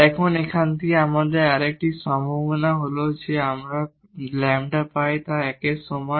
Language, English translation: Bengali, Now, from here we have another possibility is that we get lambda is equal to 1